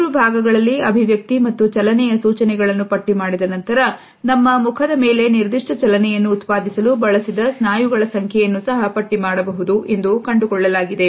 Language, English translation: Kannada, In the three columns, we find that after having listed the expression and the motion cues, the number of muscles which have been used for producing a particular motion on our face are also listed